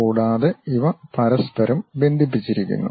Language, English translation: Malayalam, And, these are connected with each other